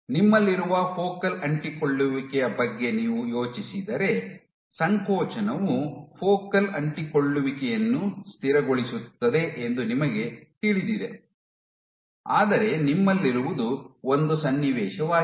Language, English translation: Kannada, So, what you have is a situation in which if you think of focal adhesions, you know that contractility stabilizes focal adhesions, but also what you have is a situation